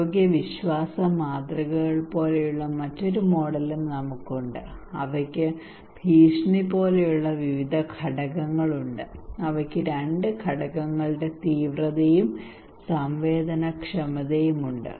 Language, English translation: Malayalam, Also we have another models like health belief models, they have various kind of components like threat which has two components severity and susceptibility